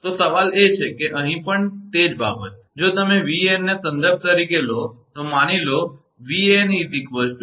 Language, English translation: Gujarati, So, question is that, here also same thing that, if you take Van as the reference then suppose Van is equal to Van angle 0, right